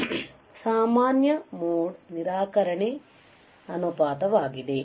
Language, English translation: Kannada, CMRR is common mode rejection ratio right